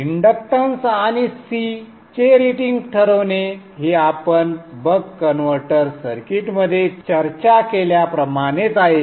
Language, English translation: Marathi, Deciding the ratings of the inductance in C is exactly same as we had discussed in the buck converter circuit